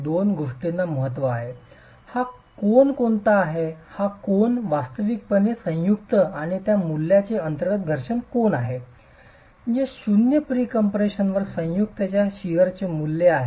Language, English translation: Marathi, This angle is actually the internal friction angle of the joint and this value which is the value of sheer strength of the joint at zero pre compression